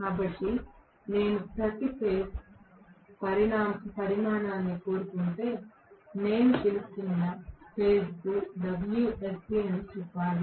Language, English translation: Telugu, So, if I want per phase quantity I should say wsc per phase which I am call as w dash this will be wsc divided by 3